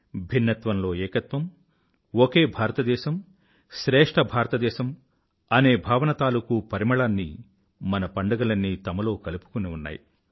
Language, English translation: Telugu, Our festivals are replete with fragrance of the essence of Unity in Diversity and the spirit of One India Great India